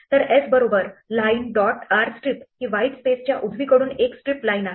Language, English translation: Marathi, So, s equal to line dot r strip that is strip line from the right of white space